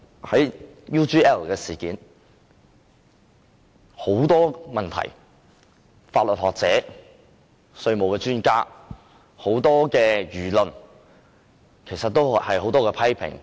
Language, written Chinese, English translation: Cantonese, 在 UGL 事件上，法律學者、稅務專家及市民大眾都作出很多批評。, In fact many legal scholars taxation experts and members of the public have made many criticisms regarding the UGL incident